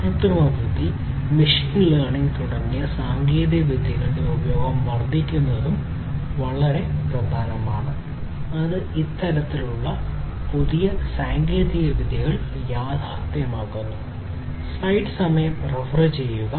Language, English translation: Malayalam, But what is very important also is the increase in the use of technologies such as artificial intelligence and machine learning, that is making these kind of newer technologies, a reality